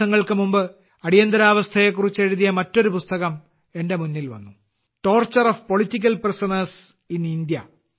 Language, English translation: Malayalam, A few days ago I came across another book written on the Emergency, Torture of Political Prisoners in India